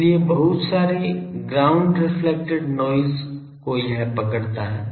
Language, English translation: Hindi, So, lot of ground reflected noise it catch